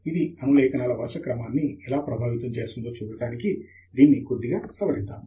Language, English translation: Telugu, Let me just modify this slightly to see how it will affect the sequencing